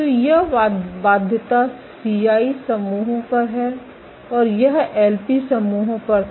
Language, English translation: Hindi, So, this is on the constraint CI islands and this was on the LP islands